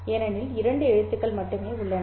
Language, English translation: Tamil, Because there are only two possible letters